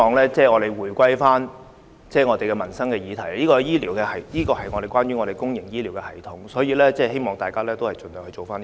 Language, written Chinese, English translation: Cantonese, 主席，我希望大家回歸民生議題的討論，這個議題關於公營醫療系統，希望大家盡量集中處理。, President I hope we can come back to discuss this livelihood issue . This subject is about the public healthcare system . I hope Members will try to focus on it